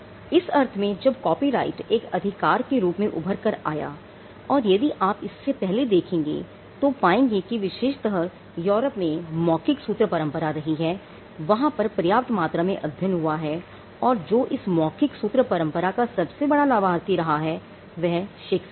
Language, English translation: Hindi, In the sense that copyright when it evolved as a right if you look behind it or before it you will find that Europe especially had an oral formulaic tradition and there are enough number of studies which some of it say that 1 of the biggest beneficiaries of the oral formulaic tradition was Shakespeare